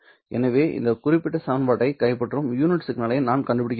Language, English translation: Tamil, So, I have to find a unit signal which would capture this particular equation